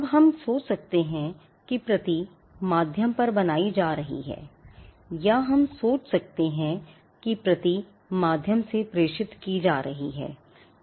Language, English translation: Hindi, Now, we can think about copy is being made an on a medium or we can think of copy is being transmitted through a medium